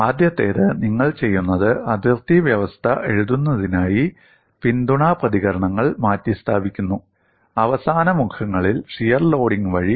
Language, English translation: Malayalam, One of the first things, you do is, in order to write the boundary condition, you replace the support reactions, by the shear loading, on the end faces